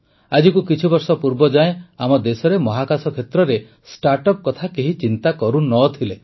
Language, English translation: Odia, Till a few years ago, in our country, in the space sector, no one even thought about startups